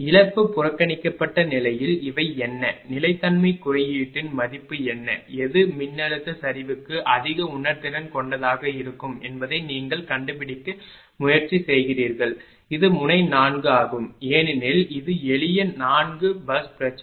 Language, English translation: Tamil, And with loss neglected we just try to find out what are this ah what are what are the value of the stability index and which one will be more sensitive voltage collapse you will find again it is node 4, because it is simple ah 4 bus problem